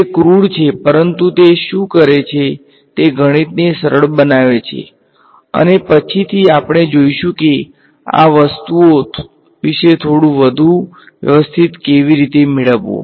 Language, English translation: Gujarati, It is crude but what it does is it makes a math easy and later we will see how to get a little bit more sophisticated about these things